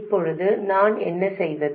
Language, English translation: Tamil, Now what do I do